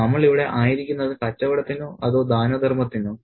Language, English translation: Malayalam, Are we here for business or for charity